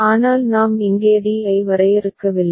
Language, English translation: Tamil, But we are not defining d here